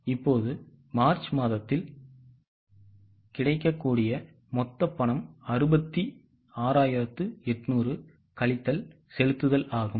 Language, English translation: Tamil, Now in the March the total available cash is 66800 minus the payments